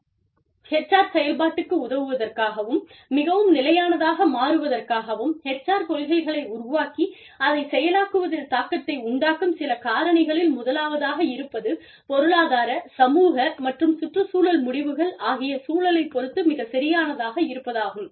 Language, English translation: Tamil, Some factors, that influence the formulation and implementation of the HR policies, in order to help the HR function, become more sustainable, are the appropriateness, in the context of economic, social, and ecological, outcomes